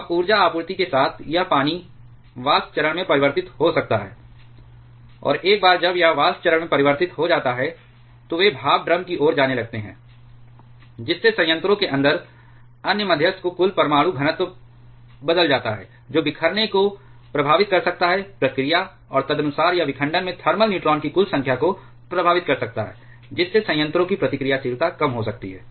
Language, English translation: Hindi, Now with energy supply this water can get converted to the vapor phase and once it become gets convert to the vapor phase they starts to leave towards the steam drum, thereby changing the total nuclear density of other moderator inside the reactor which can effect affect the scattering process, and accordingly it can affect the total number of thermal neutrons availability in fission thereby reducing the reactivity of the reactor